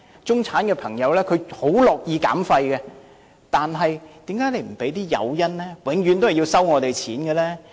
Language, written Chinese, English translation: Cantonese, 中產朋友很樂意減廢，但為何不提供誘因，永遠都是向我們收費？, People from the middle class are very willing to reduce waste . Why does the Government not provide any incentives but is always charging us?